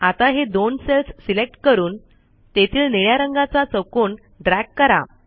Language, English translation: Marathi, Now If I select these two cells and then drag the blue square down let me move this here